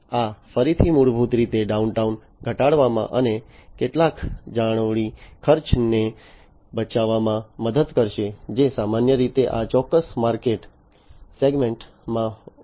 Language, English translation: Gujarati, And the this again basically will help in reducing the downtime and saving some of the maintenance cost that is typically high in this particular in, this particular market segment